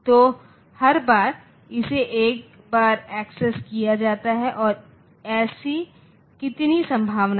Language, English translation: Hindi, So, every time it is accessed once and how many such possibilities are there